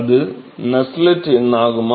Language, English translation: Tamil, Is Nusselt number, right